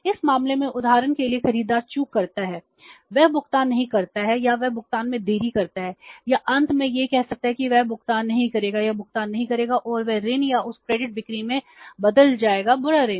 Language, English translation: Hindi, In this case for example the buyer defaults he doesn't make the payment or he delays the payment or finally it may be say found out that he will not make the payment or the firm will not the payment and that loan or that credit sales will turn into the bad debts